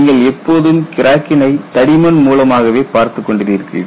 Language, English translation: Tamil, You have always been seeing through the thickness crack